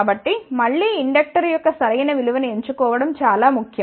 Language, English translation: Telugu, So, again choosing the right value of inductor is very very important